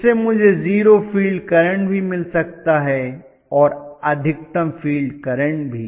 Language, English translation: Hindi, This enables me get either 0 field current or I can go to maximum field current that is what going to happen